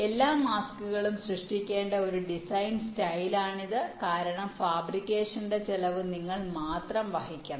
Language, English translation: Malayalam, this is a design style where all the masks have to be created because the cost of fabrication has to be born by you only